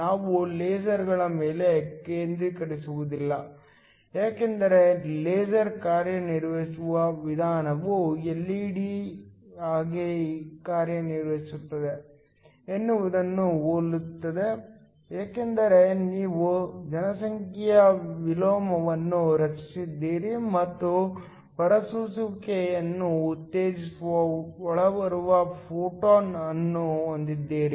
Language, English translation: Kannada, We would not be focusing on lasers, because the way the laser works is very similar to how an LED works except that you have a population inversion that is created, and you have an incoming photon that stimulates the emission